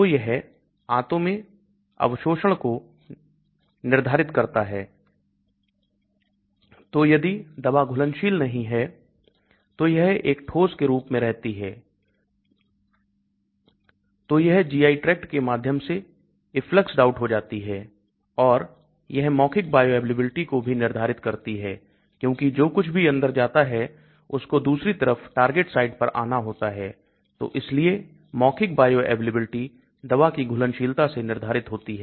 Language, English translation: Hindi, So it determines the intestinal absorption so if the drug is not soluble it remains as a solid so it may get effluxed out through the GI tract and it also determines the oral bioavailability because whatever goes inside has to come on the other side, to the target site hence the oral bioavailability is also determined by the drug solubility